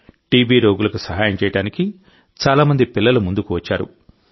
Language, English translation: Telugu, There are many children who have come forward to help TB patients